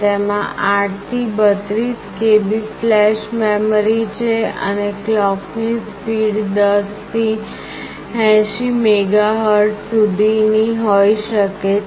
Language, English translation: Gujarati, It has got 8 to 32 KB flash and the clock speed can range from 10 to 80 MHz